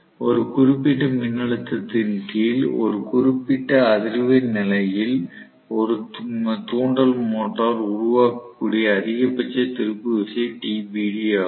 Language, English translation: Tamil, TBD is the maximum torque an induction motor is capable of generating under a particular voltage, under a particular frequency condition